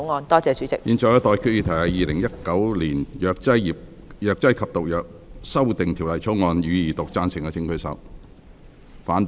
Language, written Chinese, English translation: Cantonese, 我現在向各位提出的待決議題是：《2019年藥劑業及毒藥條例草案》，予以二讀。, I now put the question to you and that is That the Pharmacy and Poisons Amendment Bill 2019 be read the Second time